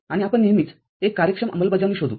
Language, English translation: Marathi, And we will always look for an efficient implementation